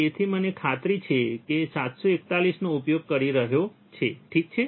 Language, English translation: Gujarati, So, I am sure that he is using 741, alright